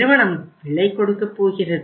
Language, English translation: Tamil, Company is going to pay the price